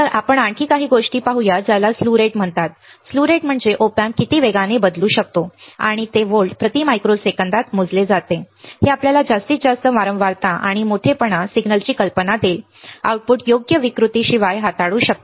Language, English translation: Marathi, So, let us see few more things one is called slew rate, what is it the slew rate is how fast the Op amp can change and it is measure in volts per microseconds right this will give you an idea of maximum frequency and amplitude signal the output can handle without distortion right